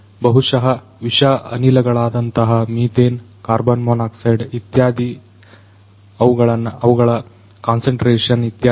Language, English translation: Kannada, May be gases such as toxic gases such as methane, carbon monoxide etc